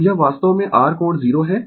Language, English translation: Hindi, So, this is actually R angle 0